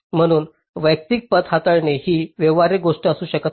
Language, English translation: Marathi, so handling individual paths may not be a feasible thing